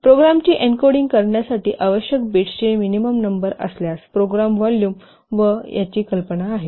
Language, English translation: Marathi, So what is the minimum number of bits required to encode the program that is specified by V